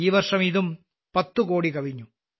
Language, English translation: Malayalam, This year this number has also crossed 10 crores